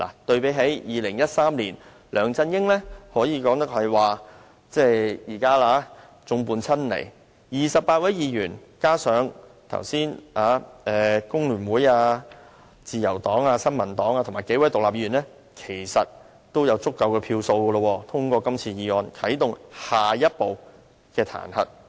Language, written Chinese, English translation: Cantonese, 對比2013年，梁振英現時可謂眾叛親離 ，28 位議員加上剛才工聯會、自由黨、新民黨，以及數位獨立議員，其實已經有足夠票數通過今次議案，啟動彈劾程序的下一步。, Compared with the situation in 2013 LEUNG Chun - ying is now more or less deserted by his followers . Actually 28 Members together with Members from FTU LP and NPP I just mentioned as well as several independent Members are enough to pass this motion in Council today and activate the next step in the impeachment process